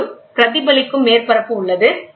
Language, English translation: Tamil, So, at there is a reflecting surface